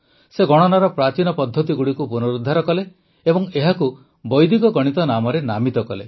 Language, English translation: Odia, He revived the ancient methods of calculation and named it Vedic Mathematics